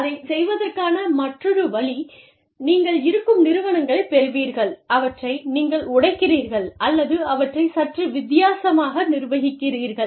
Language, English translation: Tamil, And then, the other way of doing it is, you acquire existing enterprises, and you break them apart, or you manage them, in a slightly different manner